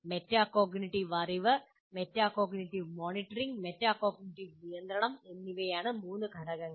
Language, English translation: Malayalam, The three elements are metacognitive knowledge, metacognitive monitoring and metacognitive control